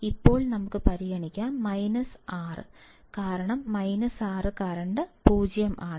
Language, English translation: Malayalam, Now let us consider minus 6, for minus 6 current is 0